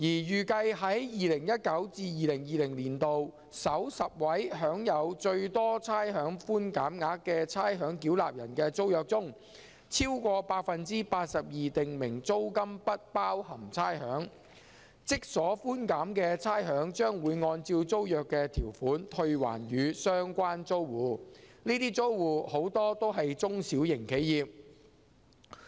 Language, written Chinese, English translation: Cantonese, 預計在 2019-2020 年度首10位享有最多差餉寬減額的差餉繳納人的租約中，超過 82% 訂明租金不包含差餉，即所寬減的差餉將會按照租約的條款退還予相關租戶，這些租戶很多都是中小型企業。, Over 82 % of the tenancies of the top 10 ratepayers who are estimated to receive the largest amounts of rates concession in 2019 - 2020 are rates exclusive meaning that the rates concessions are rebated to the tenants pursuant to the terms of the tenancies . A lot of such tenants are small and medium enterprises